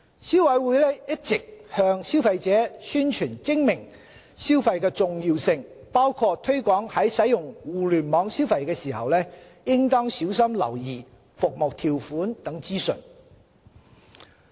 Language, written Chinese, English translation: Cantonese, 消委會一直向消費者宣傳精明消費的重要性，包括推廣在使用互聯網消費時應小心留意服務條款等資訊。, The Council has all along been promoting the importance of smart consumption to consumers including reminding them to pay attention to details such as the terms of services when making online purchases